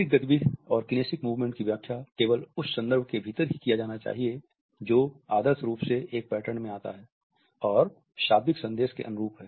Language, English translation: Hindi, The movement of the body, the kinesic movements should be interpreted only within the context which ideally comes in a pattern and is congruent with the verbal message